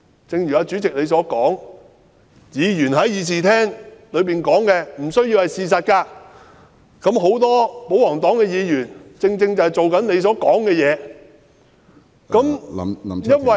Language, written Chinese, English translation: Cantonese, 正如主席曾經說過，議員在議事廳所說的不需要是事實，很多保皇黨議員正是如主席所說般行事。, As mentioned by the Chairman before what Members say in the Chamber need not be facts . Many Members of the pro - Government camp act in exactly the same way mentioned by the Chairman